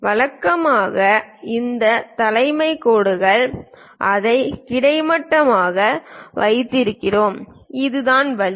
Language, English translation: Tamil, Usually, these leader lines we keep it horizontal, this is the way